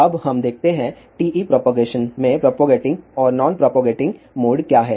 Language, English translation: Hindi, Now let us see; what are the propagating and non propagating modes in TE propagation